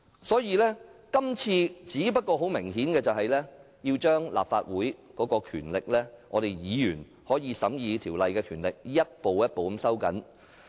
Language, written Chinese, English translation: Cantonese, 所以，這次很明顯要將立法會的權力及議員審議法案的權力逐步收緊。, Hence very obviously the Legislative Council and its Members powers to scrutinize bills have been tightened gradually